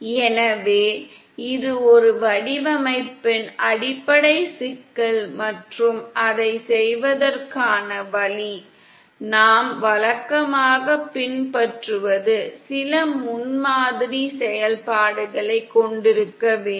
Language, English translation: Tamil, So that is the basic problem of a design & the way to do it, what we usually follow is to have some prototype functions